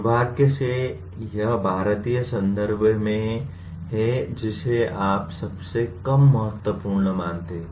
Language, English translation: Hindi, Unfortunately this is in Indian context most what do you call considered least important